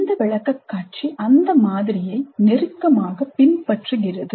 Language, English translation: Tamil, This presentation closely follows that model